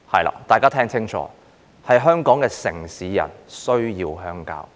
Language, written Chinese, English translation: Cantonese, 請大家聽清楚，香港的城市人現時需要鄉郊。, Please listen carefully local urban dwellers need the countryside now